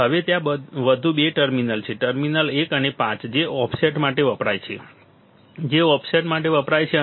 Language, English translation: Gujarati, Now, there is two more terminal, terminal 1 and 5 that is used for offset that is used for offset